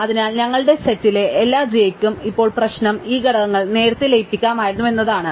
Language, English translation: Malayalam, So, for every j in our set now the problem is that these components could have been merged earlier